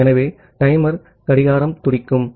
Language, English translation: Tamil, So, the timer the clock will keep on ticking